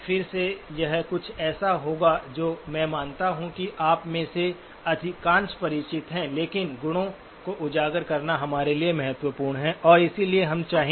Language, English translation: Hindi, Again this would be something that I believe most of you are familiar with but it is important for us to highlight the properties and therefore, we would like to